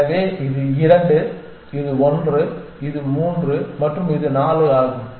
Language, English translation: Tamil, So, this is 2; this is 1; this is 3 and this is 4